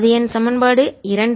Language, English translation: Tamil, this my equation two